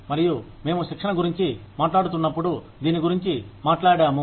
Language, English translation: Telugu, And, we talked about this, when we are talking about training